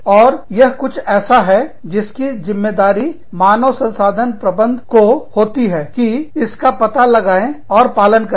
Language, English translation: Hindi, And, that is something, that the human resource manager, is responsible for, finding out and adhering to